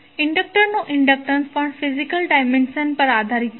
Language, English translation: Gujarati, Inductance of inductor depends upon the physical dimension also